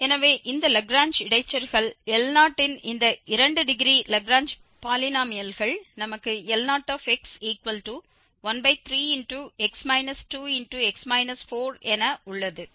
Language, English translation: Tamil, So, this Lagrange interpolation, the Lagrange polynomials of degree this 2 the L0 we have x minus 2 x minus 4 by 3